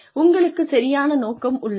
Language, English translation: Tamil, You have the right intention